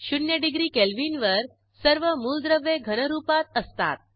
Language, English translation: Marathi, At zero degree Kelvin all the elements are in solid state